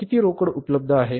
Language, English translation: Marathi, How much cash is available